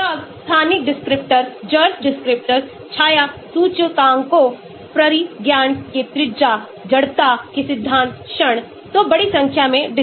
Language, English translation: Hindi, then spatial descriptors, Jurs descriptors, shadow indices, radius of gyration, principle moment of inertia, so a large number of descriptors